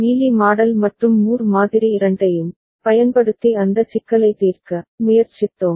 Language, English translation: Tamil, And we tried to solve that problem using both Mealy model and Moore model